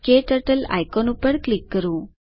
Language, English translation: Gujarati, Click on the KTurtle icon